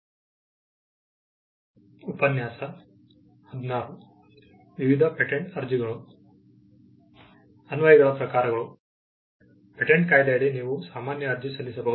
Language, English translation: Kannada, Types of applications; under the Patents Act, you can make an ordinary application